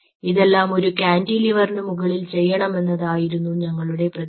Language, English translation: Malayalam, we wanted to do this on top of a cantilever